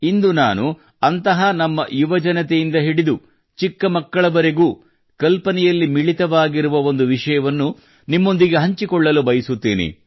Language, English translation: Kannada, Today I want to discuss with you one such topic, which has caught the imagination of our country, especially our youth and even little children